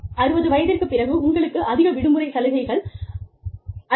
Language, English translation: Tamil, After the age of 60, you will get more vacation benefits